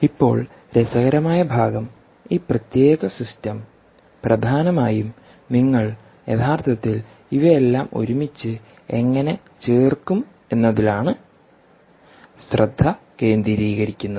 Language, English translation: Malayalam, now the interesting part is this particular ah um ah system essentially will focus on how do you actually put together all of this